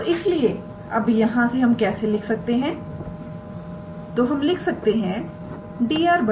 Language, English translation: Hindi, And therefore, from here what we can write is so we can write that dr ds